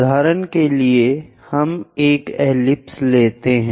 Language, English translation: Hindi, For example, let us take an ellipse